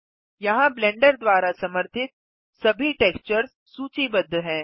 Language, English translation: Hindi, Here all types of textures supported by Blender are listed